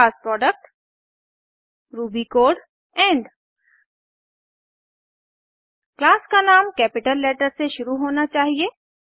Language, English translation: Hindi, class Product ruby code end The name of the class must begin with a capital letter